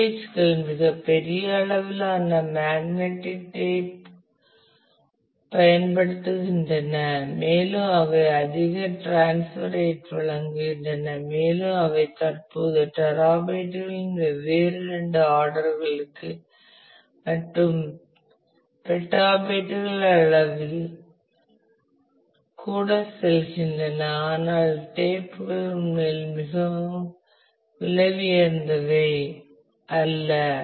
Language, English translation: Tamil, storages are used there are magnetic tapes which are very large volume and provide a high transfer rate and they are go currently they go into different couple of orders of terabytes even petabytes in size, but the tapes are not really very expensive